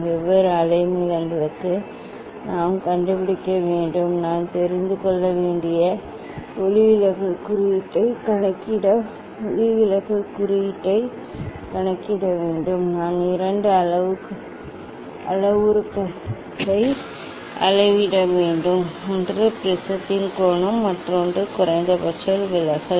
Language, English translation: Tamil, for different wavelength we have to find out, we have to calculate the refractive index to calculate the refractive index I have to know, I have to measure two parameters; one is angle of the prism, another is minimum deviation